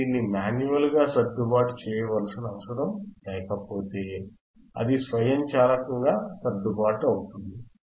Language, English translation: Telugu, If you do not need to adjust it manually, it can automatically adjust